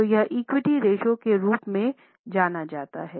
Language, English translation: Hindi, So, it is popularly known as equity ratio